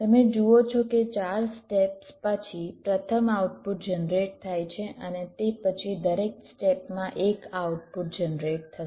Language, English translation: Gujarati, you see, after four times steps, the first output is generated and after that, in every time steps, one output will get generated